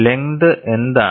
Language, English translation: Malayalam, What is the length